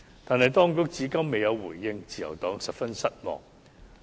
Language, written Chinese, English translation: Cantonese, 但是，當局至今未有回應，自由黨十分失望。, But the authorities have not given any reply so far very much to the disappointment of the Liberal Party